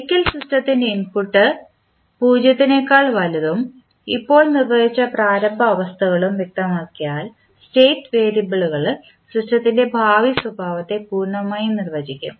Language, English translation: Malayalam, Once, the input of the system for time t greater than 0 and the initial states just defined are specified the state variables should completely define the future behavior of the system